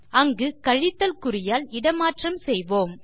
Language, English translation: Tamil, We will just replace the minus symbol there